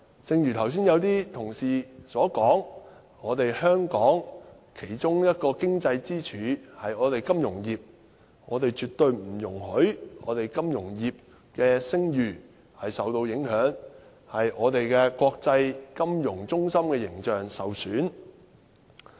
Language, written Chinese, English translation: Cantonese, 正如剛才有些同事所說，香港其中一根經濟支柱是金融業，我們絕對不容許金融業的聲譽受到影響，令我們國際金融中心的形象受損。, As some Honourable colleagues have said the financial sector is one of the economic pillars of Hong Kong . We absolutely do not allow the reputation of the financial sector to be affected nor the image of Hong Kong as an international financial centre to be tarnished